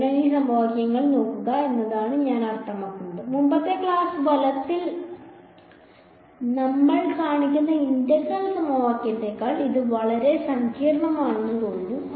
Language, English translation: Malayalam, So, it I mean just looking at these equations, this looks much more complicated than the integral equation that we show in the previous class right